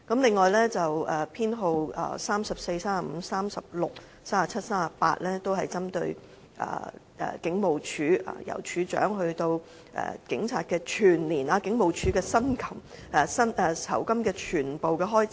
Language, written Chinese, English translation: Cantonese, 修正案編號34、35、36、37及38則針對香港警務處，關乎由處長到警察，整個警務處全部酬金的預算開支。, Amendment Nos . 34 35 36 37 and 38 are targeted at the Hong Kong Police Force HKPF . They concern the estimated expenditure for the remuneration of everybody in the entire HKPF―from the Commissioner of Police to police officers